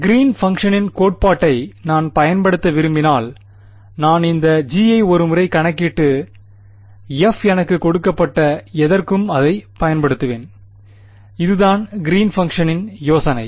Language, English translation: Tamil, If I wanted to use the theory of Green’s function, I would calculate this G once and then use it for whatever f is given to me that is the idea of Green’s function